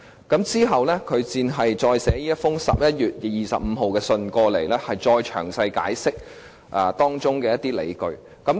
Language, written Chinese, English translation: Cantonese, 其後，律政司在11月25日再次發函，詳細解釋當中的理據。, Later in the letter dated 25 November DoJ explained the justifications concerned in detail